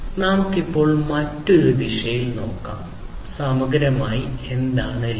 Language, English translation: Malayalam, So, let us now look at it from another direction, holistically, what lean is all about